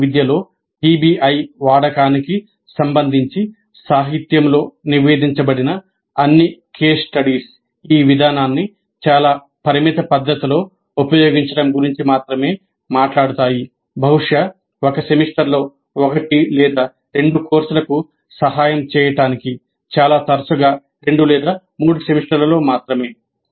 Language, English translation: Telugu, All the case studies reported in the literature regarding the use of PBI in engineering education only talk of using this approach in a very very limited fashion, probably to help one or two courses in a semester, most often only in two or 3 semesters